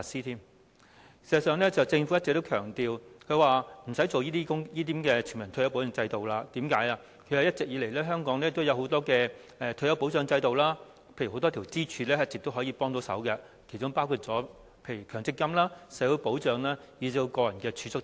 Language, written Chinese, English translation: Cantonese, 事實上，政府一直強調無須推行全民退休保障制度，因為一直以來，香港有很多退休保障制度，例如一直有很多支柱可以提供幫助，其中包括強制性公積金制度、社會保障，以至個人儲蓄等。, In fact the Government has consistently stressed that it is unnecessary to implement a universal retirement protection system because there have all along been many retirement protection systems in Hong Kong . For example there are many pillars providing assistance including the Mandatory Provident Fund MPF System social security and even personal savings